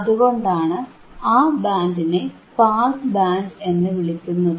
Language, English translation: Malayalam, That is why it is called pass band